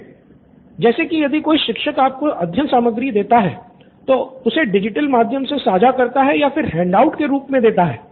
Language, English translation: Hindi, As in if a teacher is giving you a study material and it can either be shared via digital platform or given as a handout